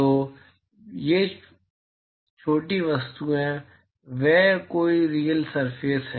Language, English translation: Hindi, So, those small objects they are any real surface